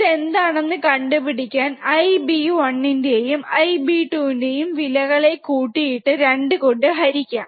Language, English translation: Malayalam, Which is which can be found by adding the magnitudes of I B one and I B 2 and dividing by sum of 2